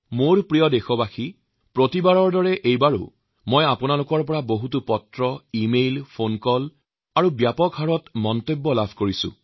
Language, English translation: Assamese, My dear countrymen, just like every time earlier, I have received a rather large number of letters, e mails, phone calls and comments from you